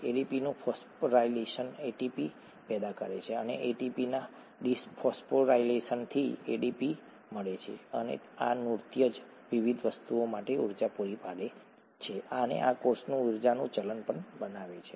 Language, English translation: Gujarati, Phosphorylation of ADP yields ATP, and dephosphorylation of ATP yields ADP and it is this dance that provides the energy for various things and also makes the energy currency in the cell